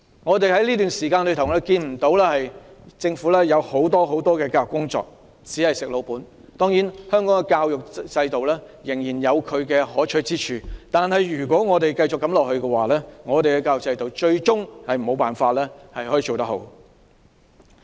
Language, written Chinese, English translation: Cantonese, 在這段時間，我們看不到政府做很多教育工作，只是在"食老本"，當然，香港的教育制度仍然有其可取之處，但如果我們繼續如此，最終也無法做好我們的教育制度。, In those days the Government had not done much on education resting on its laurels . That said the education system in Hong Kong has its merits but if we maintain status quo we cannot improve our education system